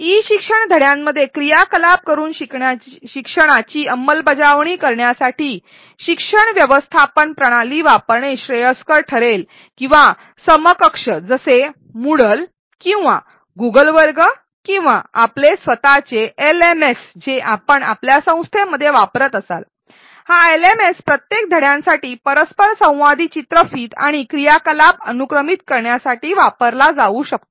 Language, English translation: Marathi, To implement learning by doing activities in an e learning module, it would be preferable to use a learning management system or equivalent such as moodle or Google classroom or your own LMS that you may be using in the in your organization and this LMScan be used to sequence the interactive videos and activities in between for each module